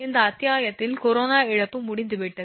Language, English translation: Tamil, This chapter is over the corona loss is over